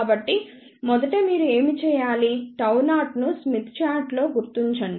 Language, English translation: Telugu, So, first thing what you should do locate gamma 0 on the smith chart